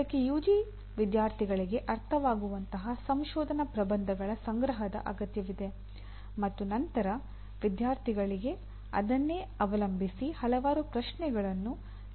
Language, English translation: Kannada, It requires collection of a set of research papers that can be understood by the UG students and then posing a set of questions on that to the students